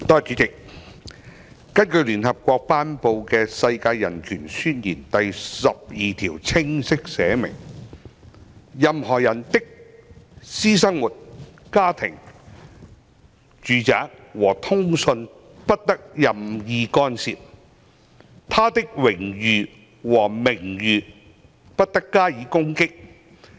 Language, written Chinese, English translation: Cantonese, 主席，聯合國頒布的《世界人權宣言》第十二條清晰列明"任何人的私生活、家庭、住宅和通信不得任意干涉，他的榮譽和名譽不得加以攻擊。, President it is stated unequivocally in Article 12 of the Universal Declaration of Human Rights promulgated by the United Nations that No one shall be subjected to arbitrary interference with his privacy family home or correspondence nor to attacks upon his honour and reputation